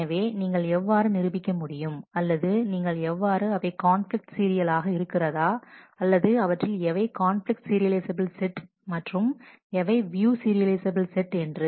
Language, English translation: Tamil, So, how do you prove that or how do you know whether they are conflicts serial, or which of them conflict serializable sets are of view serializable sets and so, on